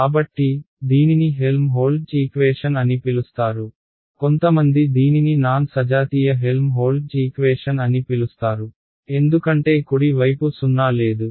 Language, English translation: Telugu, So, this is called the Helmholtz equation some people may call it a non homogeneous Helmholtz equation because the right hand side is non zero ok